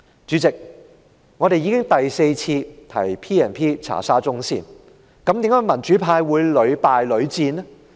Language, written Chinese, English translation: Cantonese, 主席，我們已經第四次提出引用《條例》調查沙中線，為何民主派會屢敗屢戰呢？, President this is the fourth time that we propose to invoke the powers under PP Ordinance to inquire into the matters related to SCL . Why did the pro - democracy camp make this proposal time and again?